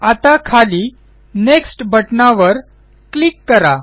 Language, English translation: Marathi, Now let us click on the Next button at the bottom